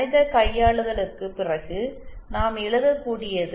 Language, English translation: Tamil, After lot of mathematical manipulation what we can write is